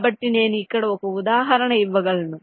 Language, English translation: Telugu, so i can given example here